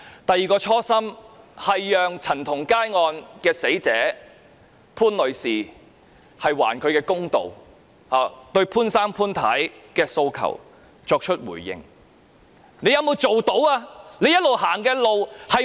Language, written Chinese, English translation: Cantonese, 第二個初心，是還陳同佳案的死者潘女士一個公道，對她父母潘先生、潘太的訴求作出回應，你做到沒有？, The second original intent was to do justice to Miss POON the victim in the CHAN Tong - kai case and to respond to the wishes of Miss POONs parents Mr and Mrs POON . Has this task been accomplished?